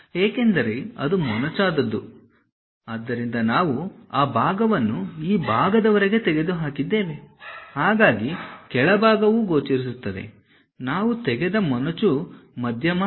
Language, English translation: Kannada, Because it is a tapered one; so we have removed that material up to that portion, the bottom is clearly visible, only the tapper middle one we have removed